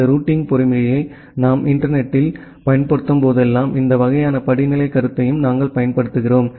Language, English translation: Tamil, And whenever we apply this routing mechanism over the internet we also apply this kind of hierarchical concept